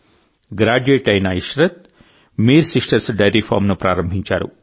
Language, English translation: Telugu, Ishrat, a graduate, has started Mir Sisters Dairy Farm